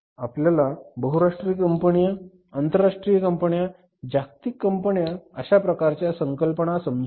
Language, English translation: Marathi, We had the concept of the multinational companies, multinational companies, world companies, transnational companies